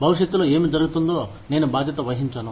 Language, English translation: Telugu, I am not responsible for, what happens in future